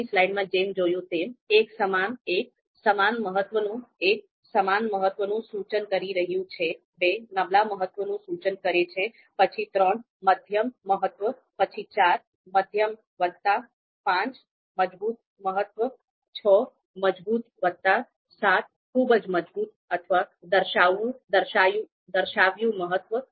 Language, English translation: Gujarati, You can see 1, 2, 3 up to 9 and what is what we mean by 1, you know so it is indicating equal importance, 2 is indicating you know you know weak importance, then 3 moderate importance, then 4 a moderate plus, 5 strong importance, 6 strong plus, 7 very strong or demonstrated importance